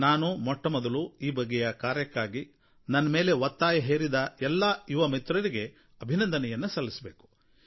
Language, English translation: Kannada, So first I would like to felicitate my young friends who put pressure on me, the result of which was that I held this meeting